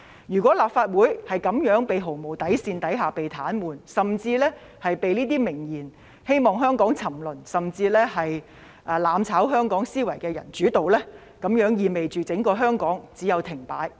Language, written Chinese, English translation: Cantonese, 如果立法會在這樣毫無底線的情況下被癱瘓，甚至被這些明言希望香港沉淪、"攬炒"香港的人主導，那麼整個香港只有停擺。, If the Legislative Council is paralysed without a bottom line or even dominated by those people who expressly say that they wish to see the fall and even destruction of Hong Kong then the entire Hong Kong will come to a standstill